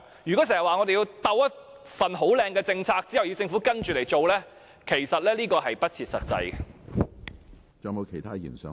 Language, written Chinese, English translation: Cantonese, 經常說要先制訂一項很"好看"的政策，然後政府才跟着來做，其實是不切實際的。, It is impractical to say that some appealing policies should first be formulated for the Government to follow